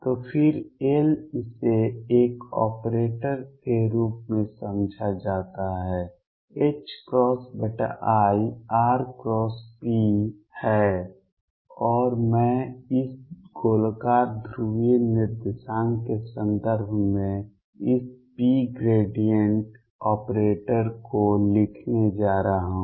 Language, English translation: Hindi, So, again L this is understood as an operator is h cross over i r cross p and I am going to write this p the gradient operator in terms of this spherical polar coordinates